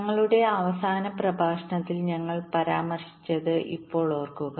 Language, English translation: Malayalam, now recall what we mentioned during our last lecture